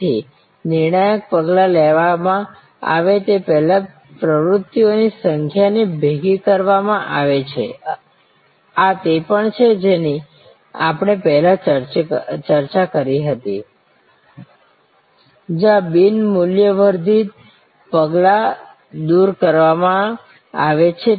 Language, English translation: Gujarati, So, number of activities therefore are merged before the critical steps are taken, this is also what we have discussed before, where non value added steps are removed